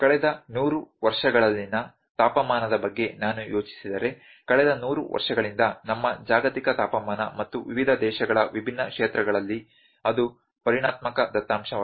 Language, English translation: Kannada, If I think about the temperature in last hundred years the temperature of our globe for last hundred years and different points in our on the in different in different countries that is the quantitative data